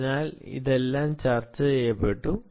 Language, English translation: Malayalam, so all of that was discussed, ah